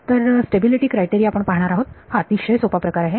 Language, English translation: Marathi, So, the stability criteria that we will look at is something very simple